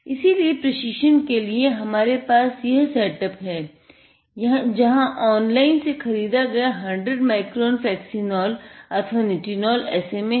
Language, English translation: Hindi, So, in order to train here, we have this setup here, where he is got the 100 micron the Flexinol or the nitinol SMA what we purchased online